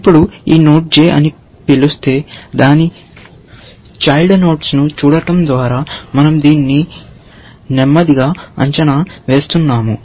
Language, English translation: Telugu, Now, if this node we will call j, which means, we are evaluating this slowly, by looking at its children